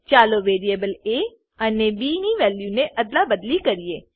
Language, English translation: Gujarati, Let us swap the values of variables a and b